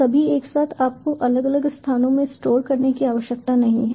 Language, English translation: Hindi, you dont have to store in individual locations ah